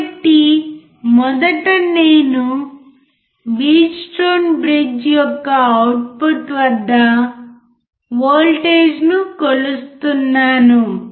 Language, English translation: Telugu, So, first I am measuring the voltage, at the output of the Wheatstone bridge or the output of the Wheatstone bridge